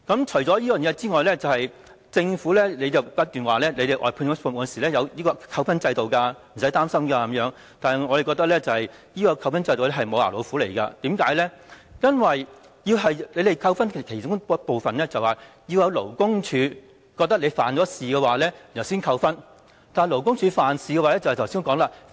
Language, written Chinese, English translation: Cantonese, 此外，政府不斷提出，外判服務設有扣分制度，請大家不用擔心，但我們認為扣分制度只是"無牙老虎"，因為被扣分的其中一個原因是被勞工處判定犯事，但正如我剛才所說，勞工處如何才會判定僱主犯事呢？, Besides the Government has repeatedly suggested that there is a demerit points system for outsourcing services so we do not need to worry . But we think that the demerit points system is just a toothless tiger because one of the reasons for incurring demerit points is violation as determined by the Labour Department LD . As I have just said when will LD determine that an employer is in violation?